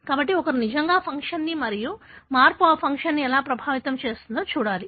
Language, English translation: Telugu, So, one has to really look into the function and how a change affects that function